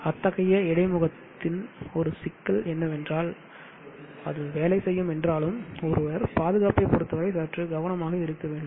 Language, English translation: Tamil, One problem with such an interface is though it will work one has to be a bit more careful with respect to safety